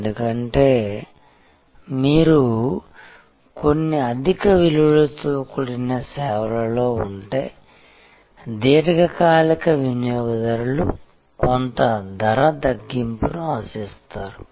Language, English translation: Telugu, And that is because if you in certain high values services, a long term customer will expect some price discount